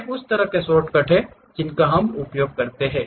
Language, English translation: Hindi, These are the kind of shortcuts what we use